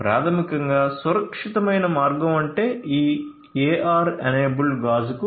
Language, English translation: Telugu, So, the safe passage way out basically can be directed to this AR enabled glass